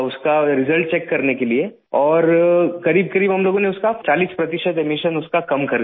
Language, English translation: Hindi, We then checked the results and found that we managed to reduce emissions by forty percent in these buses